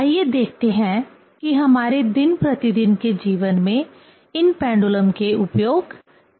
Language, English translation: Hindi, Let us see what are the applications of these pendulums in our day to day life